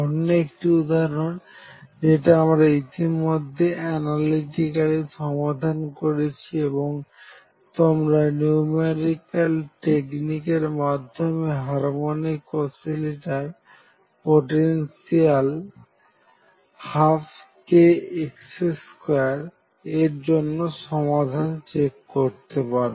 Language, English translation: Bengali, Another example that you have already seen and we have solved it analytically and it proved to be a good case study to check our numerical techniques is the harmonic oscillator potential one half k x square